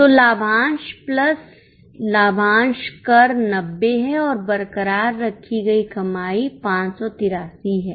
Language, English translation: Hindi, So, dividend plus dividend tax is 90 and retained earnings is 583